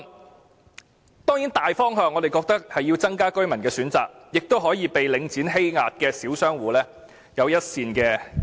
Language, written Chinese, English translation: Cantonese, 我們認為大方向當然是增加居民的選擇，這亦可以令被領展欺壓的小商戶有一線生機。, We consider that the general direction is certainly to provide more choices for the residents and this can also give a slim chance of survival to the small shop tenants oppressed by Link REIT